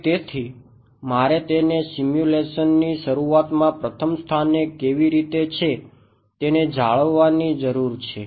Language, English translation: Gujarati, So, how do I know it in the very first place at the beginning of the simulation what do I know it to be